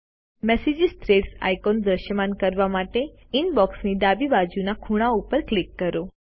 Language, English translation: Gujarati, Click on the Click to display message threads icon in the left corner of the Inbox